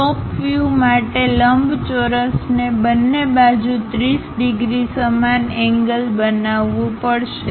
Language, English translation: Gujarati, For the top view the rectangle has to make 30 degrees equal angles on both sides